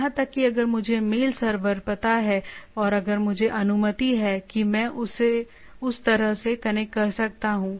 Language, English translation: Hindi, Here also if I know the mail server and if I that is allowed that I can connect like that